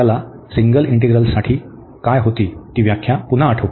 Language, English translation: Marathi, Let us just recall the definition, what we had for the single integrals